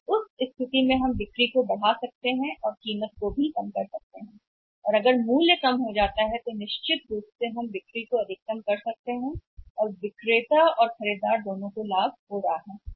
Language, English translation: Hindi, But in that case we can increase the sales also we can minimise the price also and if the price is lower down then certainly we can maximize the sales and in that way seller is also gaining and the buyer is also gaining